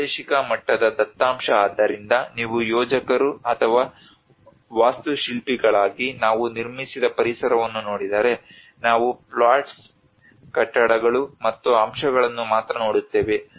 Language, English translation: Kannada, The spatial levels data so it is always if you look at the built environment we as a planners or architects we only look at the plots buildings and elements